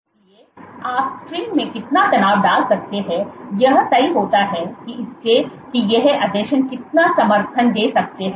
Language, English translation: Hindi, So, amount of tension you can put in the string is dictated by how much these adhesions can support